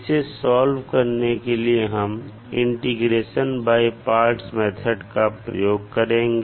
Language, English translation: Hindi, We will use the integration by parts method